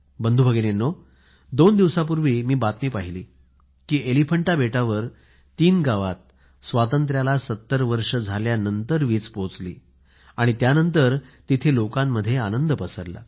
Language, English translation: Marathi, My dear Brothers and sisters, I was just watching the TV news two days ago that electricity has reached three villages of the Elephanta island after 70 years of independence, and this has led to much joy and enthusiasm among the people there